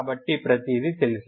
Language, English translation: Telugu, So everything is known, ok